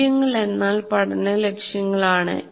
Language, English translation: Malayalam, Values are learning goals